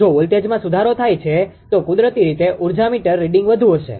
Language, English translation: Gujarati, If voltage in improves then naturally energy meter reading will be higher right